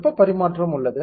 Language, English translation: Tamil, There is heat transfer